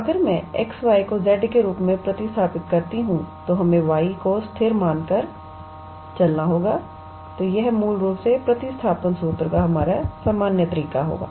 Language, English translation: Hindi, So, if I substitute x y as z let us say by treating y as constant, then this will be basically our usual method of substitution formula